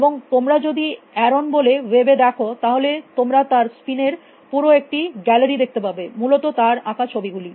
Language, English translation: Bengali, if you look up Aaron on the web you will see a whole gallery of his spin, it is paintings so essentially